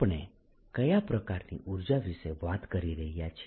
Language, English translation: Gujarati, this is a kind of energy we are talking about